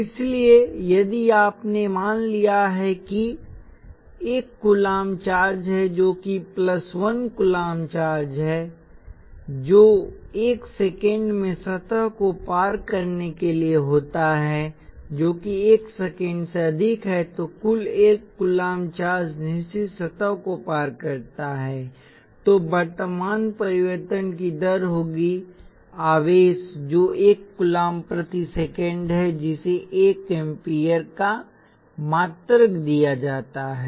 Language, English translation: Hindi, So if you have let say 1 coulomb charge that is plus 1 coulomb charge and that happens to cross the surface in 1 second that is over 1 second a total of 1 coulomb of charge crosses the certain surface then the current will be rate of change of charge, which is 1 coulomb per second which is given the unit of 1 ampere